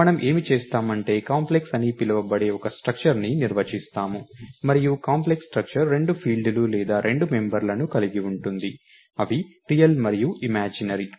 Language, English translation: Telugu, What we will do is, we will define a structure called Complex and the Complex structure it has two fields or two members, namely real and imaginary